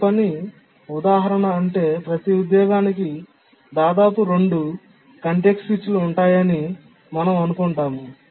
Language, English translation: Telugu, So we assume that each task instance, that is each job, incurs at most two context switches